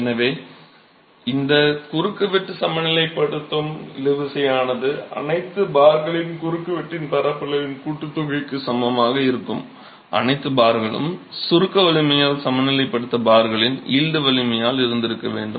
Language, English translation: Tamil, So, the tensile force that this cross section will equilibrate is equal to the sum of the area of cross section of all the bars, all the bars should have yielded into the yield strength of the bars, equilibrated by the compressive strength